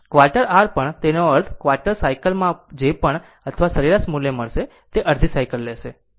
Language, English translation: Gujarati, Even quarter your; that means, in quarter cycle whatever rms or average value you will get ah you take half cycle